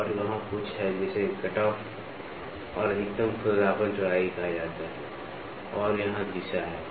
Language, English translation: Hindi, And there is something called as cutoff and maximum roughness width and here is the direction